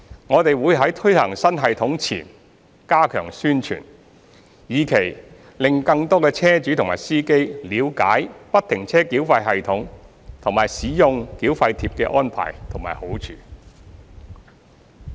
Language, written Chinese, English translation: Cantonese, 我們會在推行新系統前加強宣傳，以期令更多車主和司機了解不停車繳費系統和使用繳費貼的安排和好處。, We will step up our publicity efforts before the implementation of FFTS so as to enable more vehicle owners and drivers to have an understanding of the arrangements and benefits of FFTS and the use of toll tags